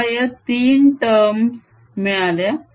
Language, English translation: Marathi, so i have gotten these three terms